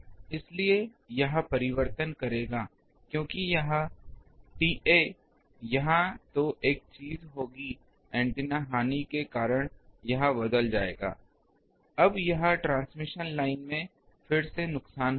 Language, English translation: Hindi, So, that will make this change because this T A here then there will be one thing is due to antenna loss this will change, now here there will be loss again in the transmission line